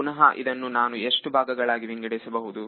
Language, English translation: Kannada, So, again this I can break up as how many parts